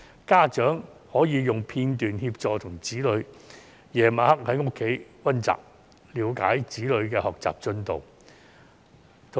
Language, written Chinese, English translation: Cantonese, 家長晚上可以利用片段在家中協助子女溫習，了解子女的學習進度。, Parents may help their children revise at home in the evenings with the clips and understand their learning progress